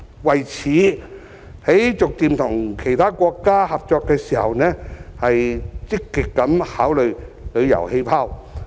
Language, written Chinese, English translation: Cantonese, 為此，就逐步與其他國家合作方面，積極的考慮"旅遊氣泡"。, In this connection the authorities should actively consider the idea of travel bubbles when it comes to gradual cooperation with other countries